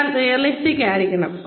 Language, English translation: Malayalam, One has to be realistic